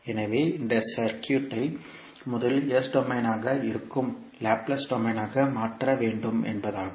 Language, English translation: Tamil, So means that we have to convert first this circuit into Laplace domain that is S domain